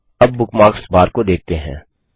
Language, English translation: Hindi, Now lets look at the Bookmarks bar